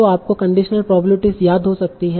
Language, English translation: Hindi, So it derives from conditional probabilities